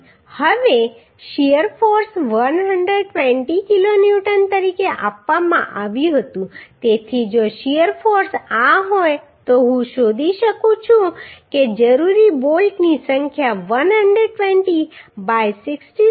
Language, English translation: Gujarati, 06 kilo Newton Now the shear force was given as 120 kilo Newton so if the shear force Is this then I can find out number of bolts required will be 120 by 66